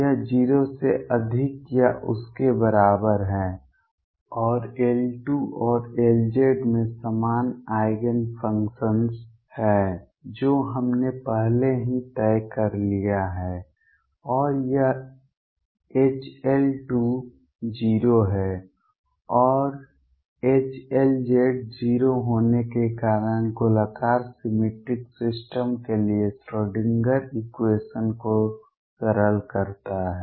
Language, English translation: Hindi, This is greater than or equal to 0 and L square and L z have common Eigenfunctions that we have already decided and this H L square being 0 and H L z being 0 simplifies the Schrodinger equation for spherically symmetric systems